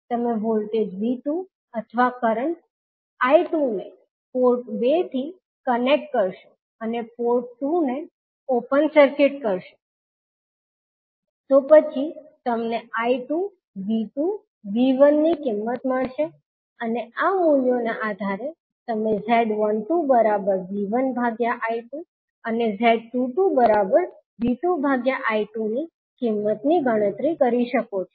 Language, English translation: Gujarati, You will connect voltage V2 or current I2 to port 2 and keep port 1 open circuited, then, you will find the value of I2, V2 and V1 and based on these values you can calculate the value of Z12 as V1 upon I2 and Z22 as V2 upon I2